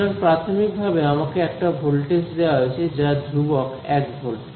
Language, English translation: Bengali, So, what is given to me primarily is the fact that voltage is constant 1 volt